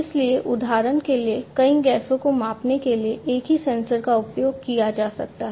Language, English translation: Hindi, So, same sensor can be used to measure multiple gases for example